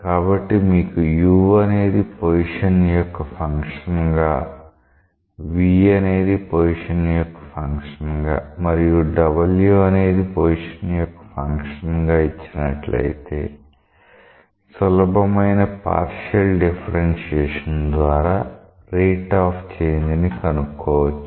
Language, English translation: Telugu, So, if you are given u as a function of position; v as a function of position and w as a function of position, by simple partial differentiation, it will be possible to find out the rates of change